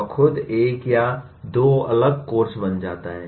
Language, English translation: Hindi, That itself become a separate course or two